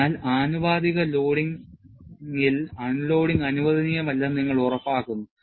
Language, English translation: Malayalam, So, in proportional loading, you ensure that no unloading is permitted